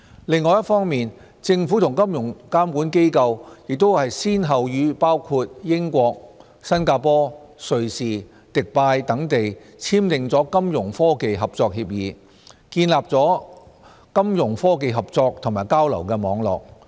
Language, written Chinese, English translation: Cantonese, 另一方面，政府和金融監管機構亦先後與包括英國、新加坡、瑞士、迪拜等地簽訂了金融科技合作協議，建立起金融科技合作和交流的網絡。, On the other hand the Government and financial regulators have signed Fintech cooperation agreements with countries such as the United Kingdom Singapore Switzerland and Dubai to establish a Fintech cooperation and exchange network